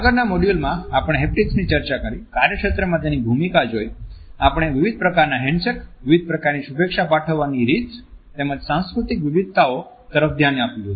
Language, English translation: Gujarati, In the previous module we had looked at haptics and it is role in the workplace, we had looked at different types of handshakes, different types of greetings as well as cultural variations